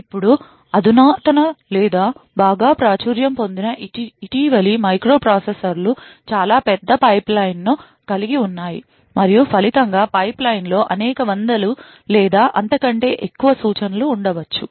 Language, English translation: Telugu, Now advanced or very popular recent microprocessors have a considerably large pipeline and as a result there will be several hundred or so instructions which may be present in the pipeline